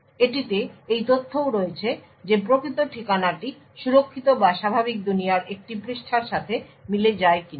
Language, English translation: Bengali, Further it also has information to say whether the physical address corresponds to a page which is secure or in the normal world